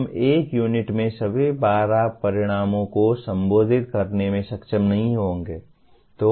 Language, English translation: Hindi, We will not be able to address all the 12 outcomes in one unit